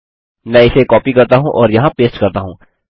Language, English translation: Hindi, Let me copy and past that down there